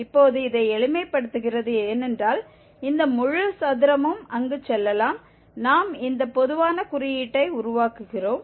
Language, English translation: Tamil, Now just simplifying this, because this whole square can go there, we are making this common denominator